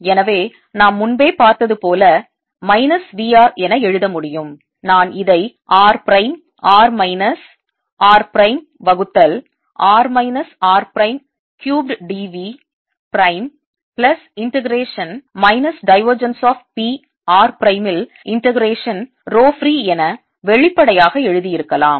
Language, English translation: Tamil, i could have also explicitly written this as: integration: rho free at r prime, r minus r prime divided by r minus r prime cubed d v prime plus integration minus divergence of p